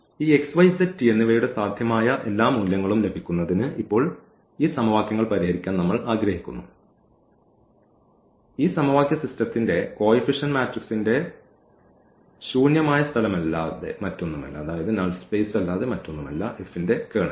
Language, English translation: Malayalam, And we want to now solve these equations to get all possible values of these x, y, z and t and this is nothing but the null space of the coefficient matrix of the coefficient matrix of this of this system of equations and that is nothing but the Kernel of F